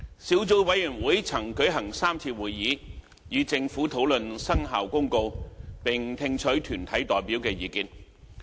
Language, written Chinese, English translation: Cantonese, 小組委員會曾舉行3次會議，與政府討論《生效公告》，並聽取團體代表的意見。, The Subcommittee has held three meetings to discuss the Commencement Notice with the Government and receive views from deputations